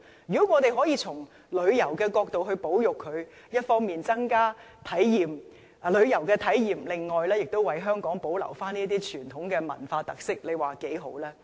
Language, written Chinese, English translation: Cantonese, 如果我們可以從旅遊角度加以保育，既可為旅客增加旅遊體驗，亦能為香港保留這些傳統文化特色，你說多好。, If we can conserve those stalls from the perspective of promoting tourism we can enrich the travel experience of visitors as well as preserve traditions with cultural characteristics in Hong Kong . How wonderful it will be!